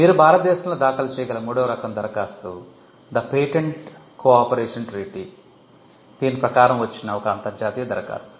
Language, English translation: Telugu, The third type of application you can file in India is the PCT international application under the Pattern Cooperation Treaty